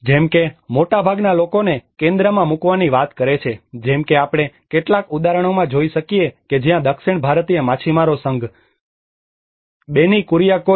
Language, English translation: Gujarati, Like, most of them they are talking about putting people in the centre, like we can see in some of the examples where the south Indian fishermen federation societies, Benny Kuriakose